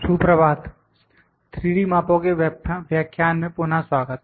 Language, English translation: Hindi, Good morning, welcome back to the lecture on 3D measurements